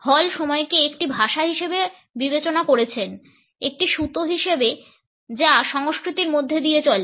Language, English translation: Bengali, Hall has treated time as a language, as a thread which runs through cultures